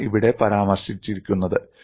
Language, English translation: Malayalam, And that is what is summarized here